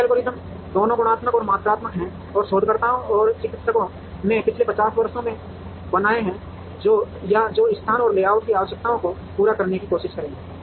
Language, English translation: Hindi, There are several algorithms both qualitative and quantitative that researchers, and practitioners have created over the last 50 years or so which will try and meet the requirements of location and layout